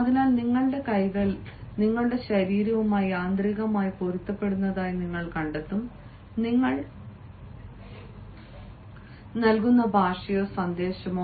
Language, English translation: Malayalam, so you will find that, automatically, your hands are in tune with your body, are in tune with the language or the message that you are providing